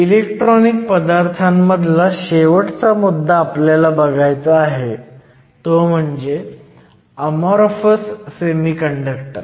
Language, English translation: Marathi, The last topic, that I want to cover when we are talking about electronic materials are Amorphous Semiconductors